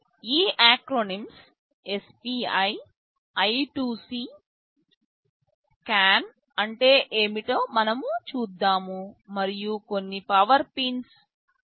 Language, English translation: Telugu, We shall be seeing what these acronyms mean SPI, I2C, CAN and of course, there are some power pins 3